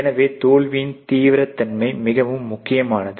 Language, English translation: Tamil, So, obviously, severity aspects of the failure is very important